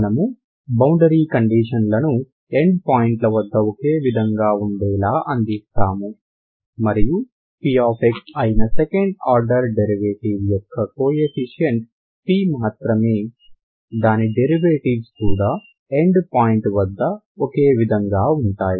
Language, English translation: Telugu, If you provide your boundary conditions in such a way that they are same at the end points and its derivatives are also same at the end point that you do only if p is the coefficient of the second order derivative that is p x